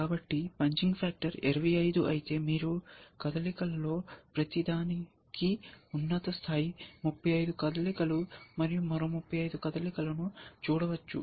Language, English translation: Telugu, So, if the punching factor was concert 25, then you can 35, then you can see, the top level 35 moves and another 35 moves for each of these moves and so on